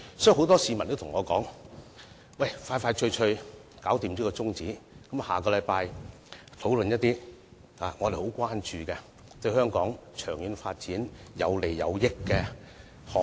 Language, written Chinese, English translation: Cantonese, 所以，很多市民都對我說，盡快通過休會待續議案，下星期討論他們很關注、對香港長遠發展有利的項目。, As such many members of the public have said to me that the adjournment motion should be passed as soon as possible so that the issue that they are concerned about and can bring benefits to the long - term development of Hong Kong can be discussed next week